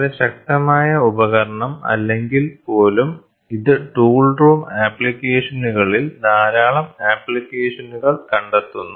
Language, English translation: Malayalam, Very powerful tool and it is even now it finds lot of application in the tool room applications